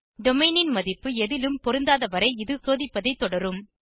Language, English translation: Tamil, It will continue checking the value of domain if no match was found so far